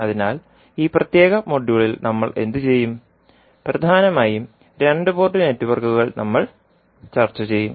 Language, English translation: Malayalam, So, what we will do in this particulate module, we will discuss mainly the two port networks